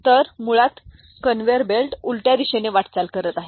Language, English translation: Marathi, So, basically the conveyer belt is moving in the reverse direction